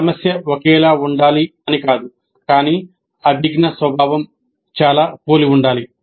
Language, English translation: Telugu, This is not to say that the problem should be identical but the cognitive nature should be quite similar